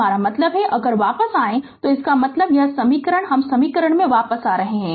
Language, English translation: Hindi, I mean if you go back that mean this equation this equation right I am going back